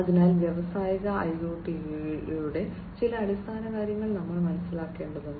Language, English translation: Malayalam, So, we need to understand some of the basics of Industrial IoT